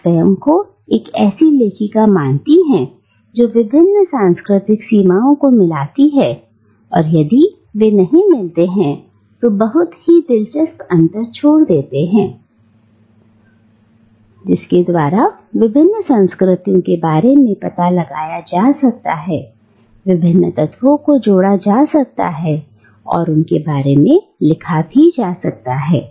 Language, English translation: Hindi, And she identifies herself as writing from a position of marginality where limits of different cultures meet, or if they do not meet they leave a very interesting gap from within which one can look at these different cultures and combine various elements and write about them